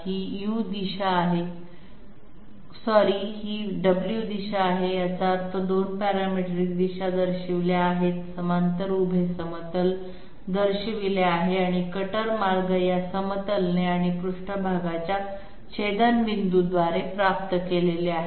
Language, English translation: Marathi, This is the U direction I am sorry the W has got obliterated, this is the W direction that means the 2 parametric directions are shown, the parallel vertical planes are shown and the cutter paths are obtained by the intersection of these planes and the surface